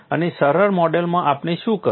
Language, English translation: Gujarati, And the simplistic model was what we did